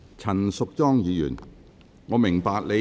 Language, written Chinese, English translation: Cantonese, 陳淑莊議員，你有甚麼問題？, Ms Tanya CHAN what is your point?